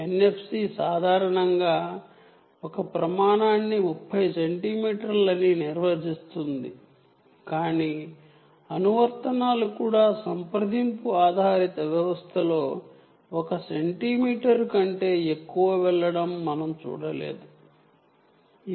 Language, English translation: Telugu, the standard defines thirty centimeters also, but we havent seen applications going more than even one centimeter, almost contact based systems